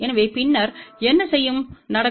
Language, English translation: Tamil, So, then what will happen